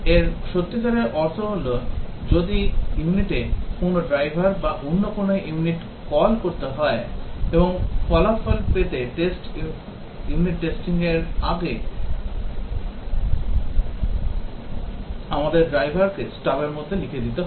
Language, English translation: Bengali, What it really means is that if the unit has a driver or some other unit needs to call it, and it needs to call some other units to get the result then we have to write the driver in stub before we can do the unit testing